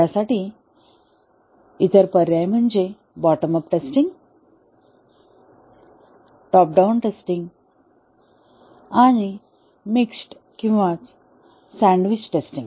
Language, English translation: Marathi, Alternatives are the bottom up testing, top down testing and a mixed or sandwich testing